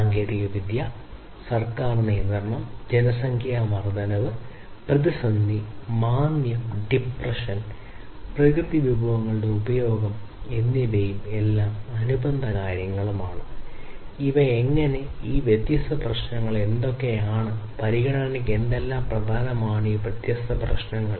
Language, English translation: Malayalam, Issues of technology, government regulation, growth of population, crisis, recession, depression, and consumption of natural resources, and they are corresponding things also we have understood that how these, what are these different issues and what are what is important for consideration of these different issues